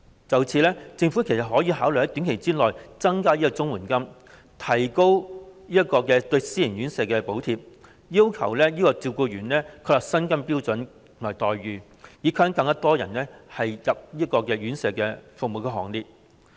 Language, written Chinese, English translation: Cantonese, 就此，政府其實可考慮在短期內增加綜援金，提高對私營院舍的補貼，要求為照顧員確立薪金及待遇標準，以吸引更多人加入院舍服務的行列。, As a matter of fact the Government may consider increasing CSSA payments in the short term so as to increase subsidies to private residential homes and require the setting of salary and treatment standards for carers to attract more people to join residential care services